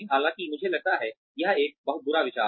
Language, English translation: Hindi, Though I think, that is a very, very bad idea